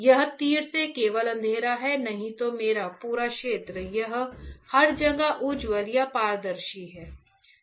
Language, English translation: Hindi, This arrow these are only dark, otherwise my entire field this one this is everywhere is bright is transparent